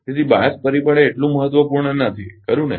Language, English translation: Gujarati, So, bias factor is not that important, right